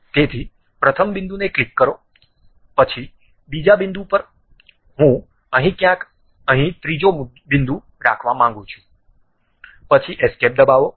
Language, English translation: Gujarati, So, click first point, then second point, I would like to have third point here somewhere here, then press escape